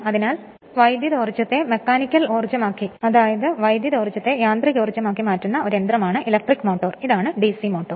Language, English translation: Malayalam, So, electric motor is a machine which converts electrical energy into mechanical energy, this is DC motor